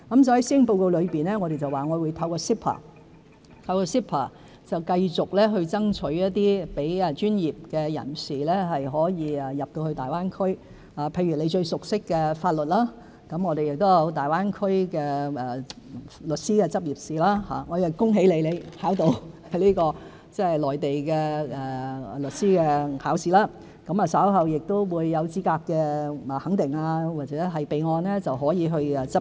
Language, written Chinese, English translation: Cantonese, 在施政報告中，我說會透過 CEPA 繼續爭取讓專業人士進入大灣區市場，譬如容議員最熟識的法律業務方面，我們有大灣區律師的執業試——我也恭喜容議員已通過內地的律師考試，稍後取得資格肯定或備案後，便可執業。, In the Policy Address I said that we would continue to strive for professionals access to the GBA market through CEPA for example in the area of legal practice to which Ms YUNG is most familiar . I would also congratulate Ms YUNG on passing the Mainland legal professional examination which will enable her to practise in the Mainland after her qualifications have been verified or put on record